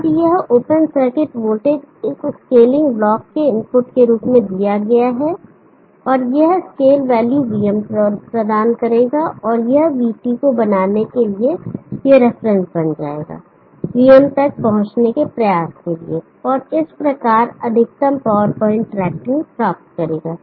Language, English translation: Hindi, Now this open circuit voltage is given as input to this scaling block, and this scaled value will provide BM and this will become the reference for making the VIT of this try to reach VM, and thereby achieve maximum power point tracking